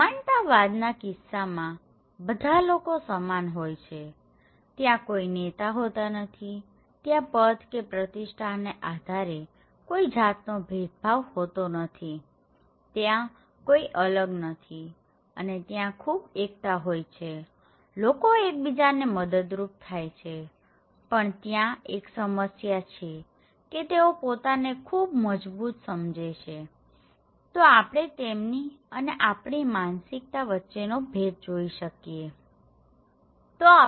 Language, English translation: Gujarati, In case of egalitarian, it is like everybody is equal without there is no leader, there is no variation based on status and prestige, no one is okay and there are a lot of solidarities, people help each other between members, okay and but there is a problem that they believe they have a very strong, we feeling that this is we and this is they so, there is a difference between that we and them, okay so, us versus them mentality is there